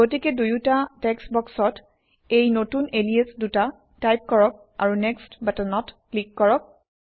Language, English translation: Assamese, So let us type in these new aliases in the two text boxes and click on the Next button